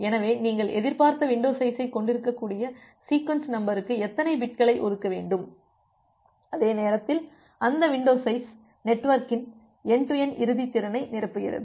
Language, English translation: Tamil, So, how many bits you should reserve for the sequence number such that you can have the expected window size, and at the same time that window size will fill up the end to end capacity of the network